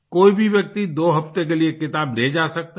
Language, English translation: Hindi, Anyone can borrow books for two weeks